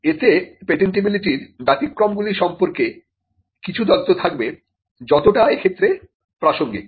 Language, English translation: Bengali, It would also have some information about exceptions to patentability to the extent they are relevant